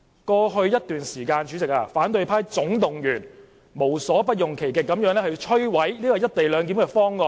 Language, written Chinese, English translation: Cantonese, 過去一段時間，反對派總動員無所不用其極意圖摧毀"一地兩檢"方案。, For some time in the past all opposition Members have attempted to reject the co - location proposal by all means